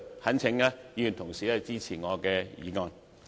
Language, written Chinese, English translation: Cantonese, 懇請議員同事支持我的議案，多謝。, I implore Honourable colleagues to support my motion . Thank you